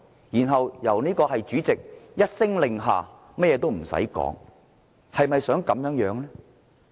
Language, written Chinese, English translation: Cantonese, 然後，由主席一聲令下，甚至也不用討論，就予以通過。, By then under the order made by the President such a motion would be passed even without any deliberation